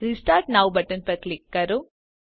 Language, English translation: Gujarati, Click on Restart now button